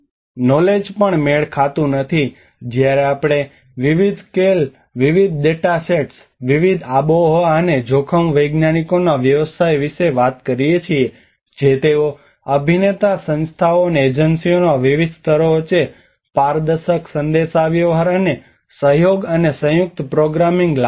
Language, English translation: Gujarati, Also the knowledge mismatches when we talk about different scales, different data sets, different climate and risk scientistís practitioners which they do not bring the transparent communication and collaboration and joint programming between various levels of actorís, institutions, and agencies